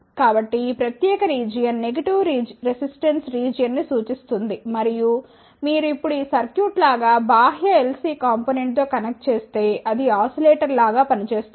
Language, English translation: Telugu, So, this particular region represents a negative resistance region and if you connect like this circuit now with the an external L c component it will act like a oscillator